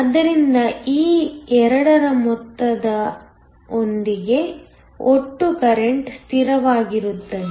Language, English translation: Kannada, But, the total current with the sum of these 2 will be a constant